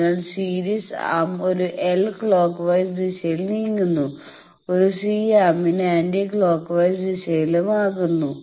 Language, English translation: Malayalam, So, series arm makes a clockwise for a l movement anti clockwise for a c arm